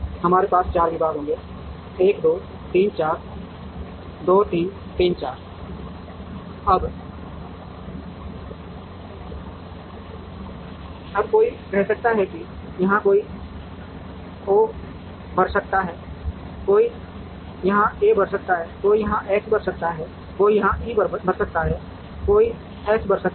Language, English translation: Hindi, We would have 4 departments 1 2 3 4 1 2 3 4, now somebody might say might fill an O here, somebody might fill an A here, somebody might fill an X here, somebody might fill an E here, somebody might fill an X here, somebody might fill an A here